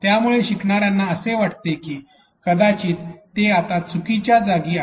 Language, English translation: Marathi, So, the learners feel that maybe they are in the wrong place now